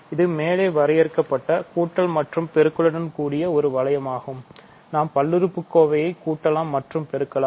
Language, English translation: Tamil, So, this is an ring with the addition and multiplication defined above, we can add and multiply polynomials, so it becomes a ring it has all the required properties